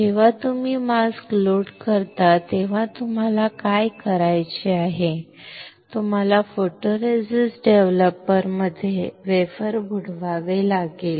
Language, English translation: Marathi, When you load the mask then you what you have to do, you have to dip the wafer in photoresist developer